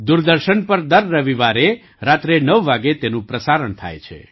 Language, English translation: Gujarati, It is telecast every Sunday at 9 pm on Doordarshan